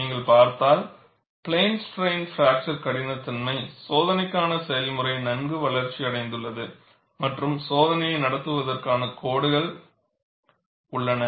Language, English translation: Tamil, And if you look at, the procedure for plane strain fracture toughness testing is well developed and codes exist to conduct the test